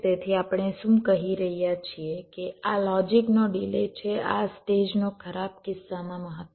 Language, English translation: Gujarati, so what we are saying is that this is the delay of the logic, maximum worst case delay of this stage